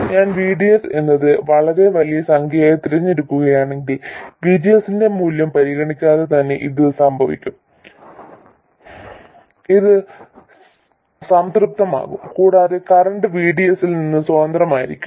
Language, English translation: Malayalam, If I choose VDS to be a very large number, this will be the case regardless of the value of VGSGS this will be satisfied and the current will be independent of VDS